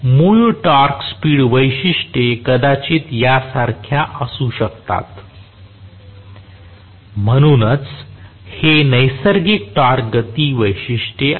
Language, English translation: Marathi, May be the original torque speed characteristics was like this, so, this the natural torque speed characteristics